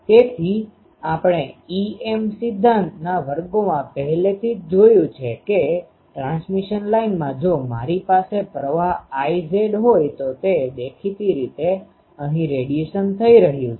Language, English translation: Gujarati, So, in a transmission line we have already seen in the em theory classes, that if I have a current I z; obviously, here the radiation is taking place